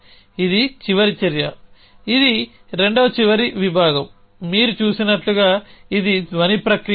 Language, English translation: Telugu, This is the last action this is the second last section will soon which as you are seen is a not a sound process